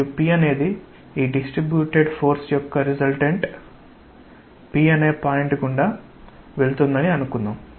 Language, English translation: Telugu, And say that P is the point over through which the resultant of this distributed force passes